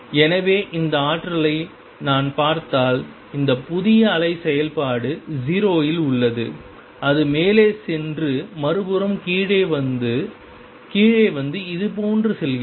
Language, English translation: Tamil, So, if I look at this potential this new wave function is 0 at the origin goes up and comes down on the other side it comes down and goes like this